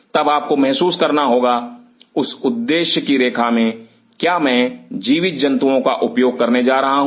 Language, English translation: Hindi, Then you have to realize in that objective line, am I going to use live animals